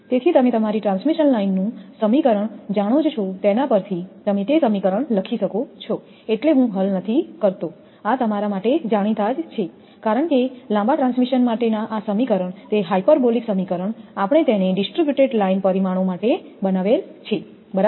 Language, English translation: Gujarati, So, from that we can write that this expression you know that from your transmission line expression, I am not deriving here these are known to you because for long transmission, line this expression that hyperbolic expression we have made it right for distributed line parameters